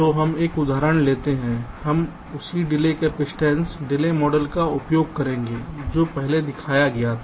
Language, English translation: Hindi, we will use that same delay capacitance delay model, that shown earlier